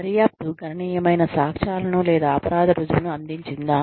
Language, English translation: Telugu, Did the investigation provide, substantial evidence, or proof of guilt